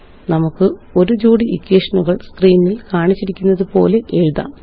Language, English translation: Malayalam, Let us write a set of Simultaneous equations now as shown on the screen